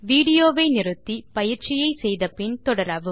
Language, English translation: Tamil, Pause the video here,do the exercise then resume the video